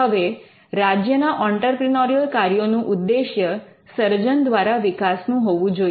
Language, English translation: Gujarati, Now, the focus of the entrepreneurial activity of the state should be on innovation led growth